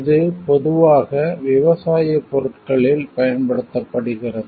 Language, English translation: Tamil, It is most commonly used in the case of agricultural products